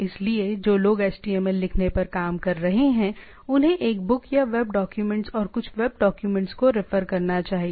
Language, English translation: Hindi, So, those who are working on writing HTML should refer a book or web document some web documents to write things